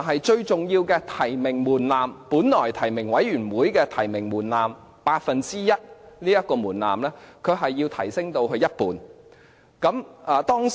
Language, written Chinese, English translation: Cantonese, 最重要的提名門檻，由本來提名委員會八分之一提名門檻，提升至一半。, A critical factor is the nomination threshold which will be raised from one eighth of the membership of the nominating committee NC to half of it